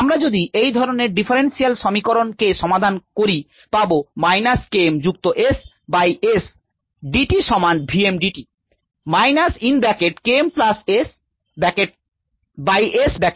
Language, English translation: Bengali, if we solve this differential equation, minus k m plus s by s d s equals v m d t